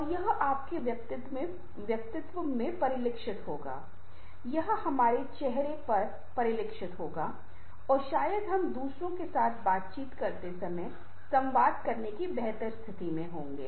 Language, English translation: Hindi, this will be reflected on our face and perhaps we shall be in a better position to communicate while interacting with others